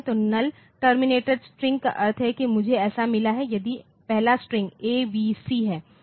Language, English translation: Hindi, So, null terminated string means I have got so, if the first string is say A, B, C the first string is A, B, C